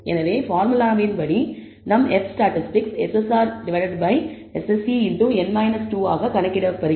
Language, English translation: Tamil, So, from the formulae we know our F statistic is computed as SSR by SSE into n minus 2